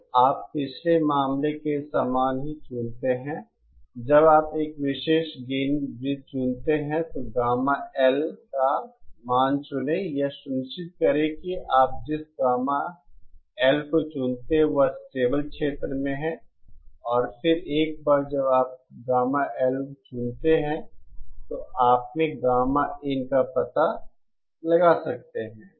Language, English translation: Hindi, So you choose same as the previous case you choose a particular gain circle, select a value of gamma L, ensure that the gamma L that you choose lies in the stable region and then once you choose gamma L, you can find out gamma in and from gamma in, you can find out gamma S